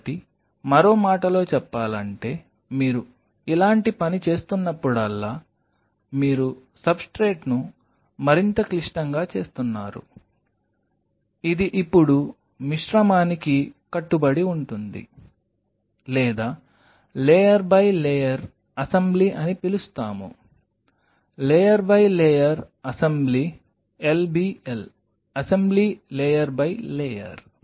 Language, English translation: Telugu, So, in other word whenever you are doing something like this, you are making the substrate further complex it is more of a composite now adhering composite or layer by layer assembly as we call that, layer by layer assembly lbl assembly layer by layer